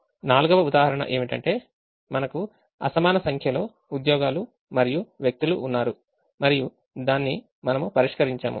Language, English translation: Telugu, the fourth example is where we had an unequal number of jobs and people and we solved it